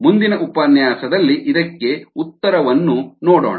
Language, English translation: Kannada, see the solution in the next lecture